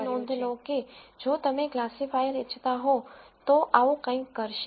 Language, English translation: Gujarati, And you would notice that if you wanted a classifier, something like this would do